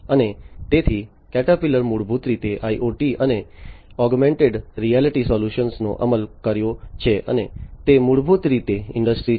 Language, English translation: Gujarati, And so Caterpillar basically has implemented IoT and augmented reality solutions and that is basically a step forward towards Industry 4